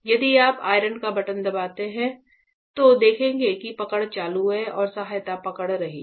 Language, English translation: Hindi, If you press the iron button will behold holding is on and holding help